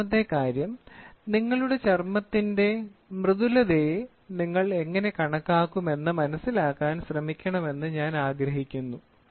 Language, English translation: Malayalam, Second thing is I want you to also try to understand how do we quantify softness of your skin